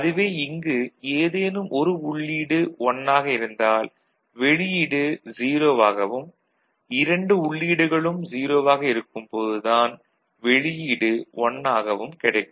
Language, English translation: Tamil, So, NOR logic any of the input is 1 output is 0 right and when both the input are 0, output is 1 right